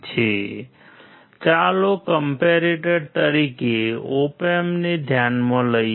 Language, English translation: Gujarati, So, let us consider the op amp as comparator